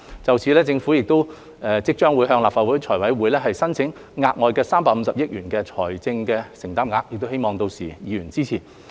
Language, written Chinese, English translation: Cantonese, 就此政府即將向立法會財務委員會申請額外350億元的財政承擔額，希望議員屆時支持。, To this end the Government will soon seek an additional commitment of 35 billion from the Finance Committee of the Legislative Council and is looking forward to Members support